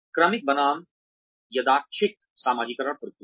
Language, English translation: Hindi, Sequential versus random socialization processes